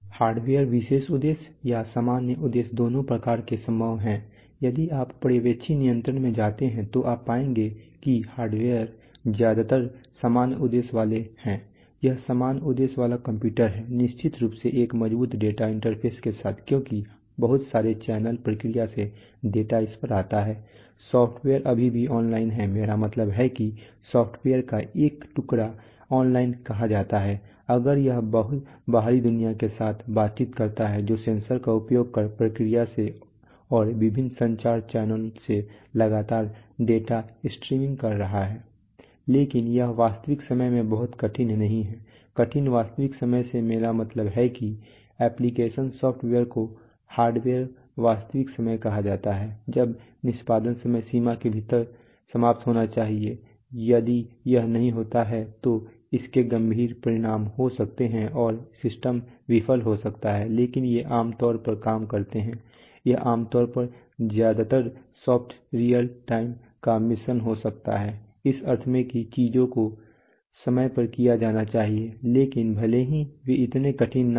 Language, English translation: Hindi, Hardware is special purpose or general purpose both are possible, if you go to supervisory control you will find that hardware is mostly general purpose, it is general purpose computers, of course with a with a strong data interface because lots and lots of channels of data from the whole process come to this, the software is still online because it the difference between what is I mean some a piece of software is called online if it acquires if it interacts with the external world,so it acquires so it works on the data which is continuously streaming in from the process using sensors, And various communication channels but it is not very hard real time, by hard real time I mean the application I am the software application is called hardware real time when the execution must be, must be finished within a time deadline if it does not finish then serious consequences may occur and the system may fail but these generally work this could are generally a mix of mostly soft real time, in the sense that, well, things must be done in time but even if but they are not so hard that is if you one does not one particular piece of computation